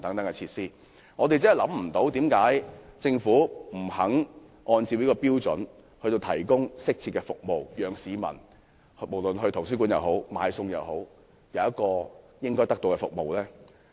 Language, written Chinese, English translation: Cantonese, 我真的不明白，為何政府不願意按照這個標準來提供適切的服務，讓到圖書館或買菜的市民可以得到應有的服務。, I really do not understand why the Government is reluctant to provide suitable services according to this standard so that people who go to library or go to market for grocery shopping can get their entitled services